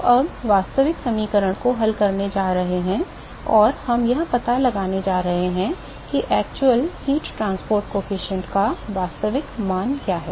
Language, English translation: Hindi, So, now, we are going to solve the actual equation and we are going to find out, what is the actual heat transport coefficient value right